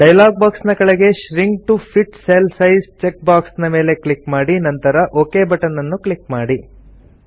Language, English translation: Kannada, At the bottom of the dialog box, click on the Shrink to fit cell size check box and then click on the OK button